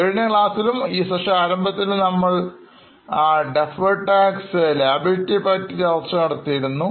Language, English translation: Malayalam, If you remember in the last session and even in the beginning of today's session we discussed about deferred tax liability